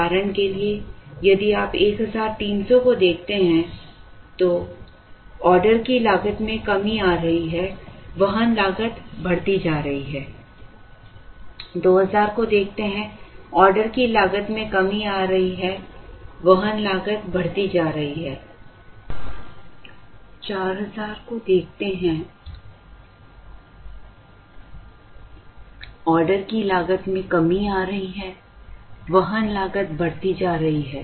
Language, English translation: Hindi, For example, if you look at 1300, order cost is coming down carrying cost is going up, 2000, order cost is coming down carrying cost is going up, less than that 4000, order cost is coming down carrying cost is going up more